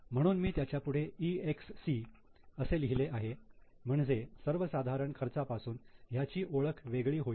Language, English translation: Marathi, So, I have marked it as EXC to differentiate it from normal expenses